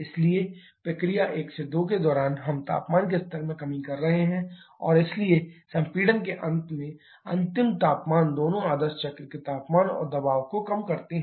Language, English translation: Hindi, So, during process 1 2 we are having a lowering in the temperature level and so the final temperature at the end of compression both temperature and pressure lower than ideal cycle